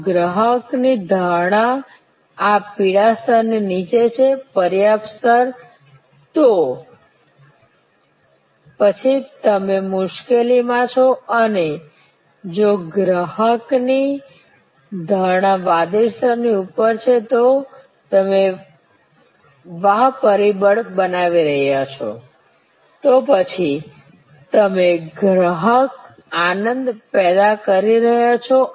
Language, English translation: Gujarati, If the customer's perception is below this yellow level, the adequate level, then you are in trouble and if the customer's perception is above the blue level then you are creating wow factor, then you are creating customer delight